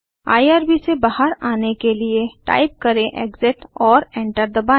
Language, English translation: Hindi, To exit from irb type exit and press Enter